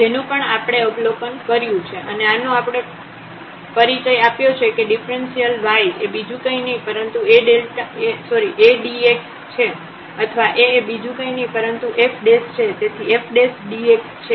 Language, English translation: Gujarati, This is also we have observed and this we have introduced that the differential y is nothing but the A times dx or A is nothing, but the f prime so, f prime dx